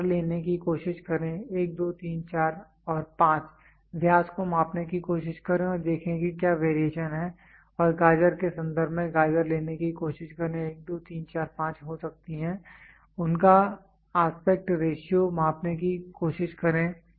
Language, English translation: Hindi, Try to take tomato may be 1 2 3 4 and 5 try to measure the diameter and see what is the variation and in terms of carrot try to take carrot may be 1 2 3 4 5 try to measure their aspect ratio